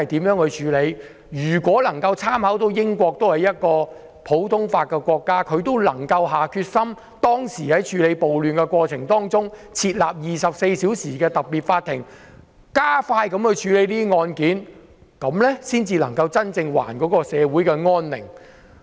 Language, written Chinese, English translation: Cantonese, 如果我們參考同樣實施普通法的英國，他們當時處理暴亂時設立24小時的特別法庭，加快處理這些案件，這樣才能真正還社會安寧。, If we refer to the experience of the United Kingdom where common law is practised they set up a 24 - hour special court to expedite the processing of cases in connection with the riots . This helped them to truly restore peace to society